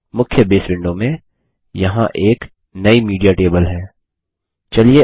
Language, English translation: Hindi, In the main Base window, there is our new Media table